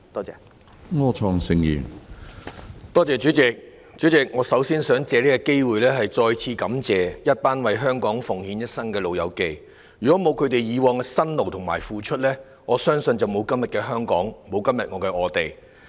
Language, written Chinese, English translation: Cantonese, 主席，我首先想藉此機會再次感謝一群為香港奉獻一生的"老友記"，如果沒有他們以往的辛勞和付出，恐怕沒有今天的香港，沒有今天的我們。, President before all else I wish to take this opportunity to thank again the elderly who have devoted their whole life to Hong Kong . Had there not been their toil and contribution in the past I am afraid Hong Kong would not have been what it is today . Neither would we have been how we are now